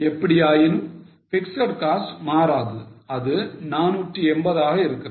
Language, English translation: Tamil, Fix cost anyway doesn't change which is 480